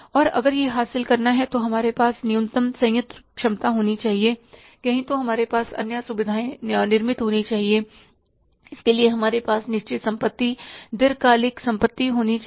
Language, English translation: Hindi, And if that has to be achieved, we should have a minimum plant capacity, we should have the, say, other facilities, say, created and for that we need to have the fixed assets, long term assets